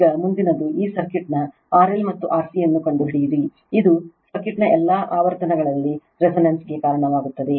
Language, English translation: Kannada, Now, next one is determine your determine R L and R C for this circuit R L and R C which causes the circuit to be resonance at all frequencies right